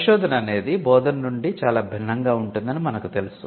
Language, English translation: Telugu, So, in research and we know that research is much different from teaching